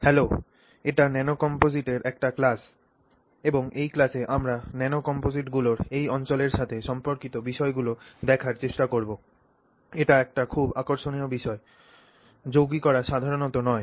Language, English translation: Bengali, Hello, this is a class on nano composites and in this class we will try to look at issues associated with this area ofomposites